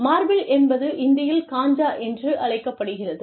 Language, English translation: Tamil, Marble is in Hindi, is called Kanchaa